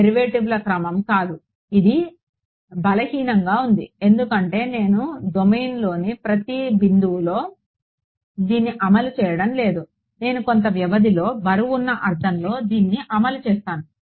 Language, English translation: Telugu, Not the order of derivatives it is simply weak because its I am not enforcing at every point in the domain I am enforcing it in a weighted sense over some interval